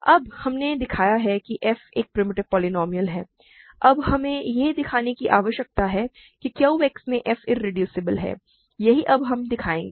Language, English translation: Hindi, Now we have showed that f is a primitive polynomial we need to now show that f is irreducible in Q X, that is what we will show now